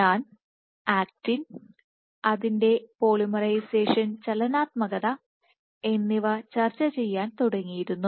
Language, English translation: Malayalam, and I had started discussing with actin and its polymerization dynamics